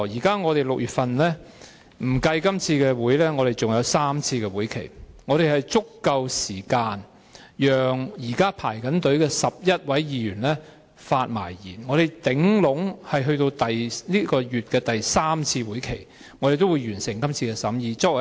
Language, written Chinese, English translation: Cantonese, 在6月當中，不計今次的會議，我們還有3次會議，我們有足夠時間讓現正輪候的11位議員發言，而我們最遲也可以在6月第三次會議完成審議工作。, In June excluding this meeting we will have three more meetings . There is sufficient time for the 11 Members currently waiting in the queue to speak and we can complete the examination at the third meeting in June the latest